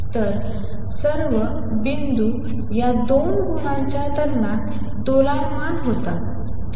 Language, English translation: Marathi, So, all the points oscillate between these 2 points; all right